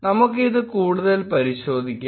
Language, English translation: Malayalam, Let us verify this further